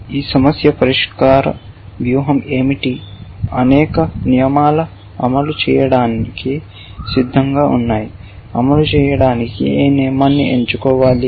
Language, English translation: Telugu, What is your problem solving strategy given that many rules of ready to execute which rule should be select to execute actually essentially